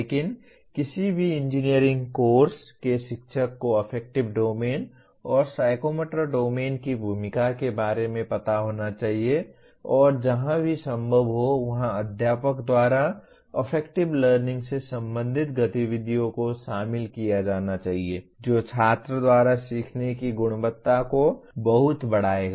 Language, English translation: Hindi, But a teacher of any engineering course should be aware of the role of affective domain and psychomotor domain and wherever possible the activities related to affective learning should be incorporated by, by the teacher which will greatly enhance the quality of learning by the student